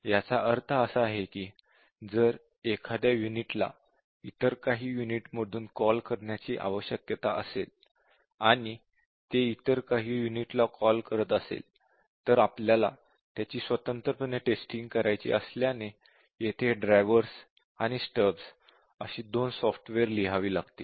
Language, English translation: Marathi, So, what it really means is that, if a unit needs to be called from some other unit and also, it calls some other units, then since you have to test it independently, we need to write small software here called as a drivers and stubs